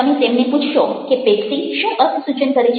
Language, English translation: Gujarati, what does pepsi signify for them